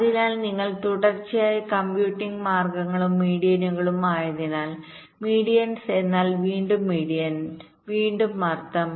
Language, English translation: Malayalam, so because you are successively computing means and medians, medians than means, again median, again mean